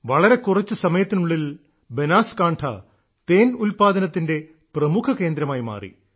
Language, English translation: Malayalam, You will be happy to know that in such a short time, Banaskantha has become a major centre for honey production